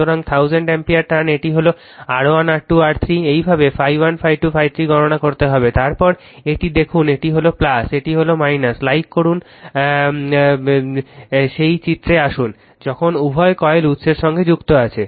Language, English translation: Bengali, So, 1000 ampere ton this is R 1 R 2 R 3, this way you have to compute phi 1 phi 2 phi 3, then look at this one this is plus, this is minus right like you please come to that diagram, when both the coils are excited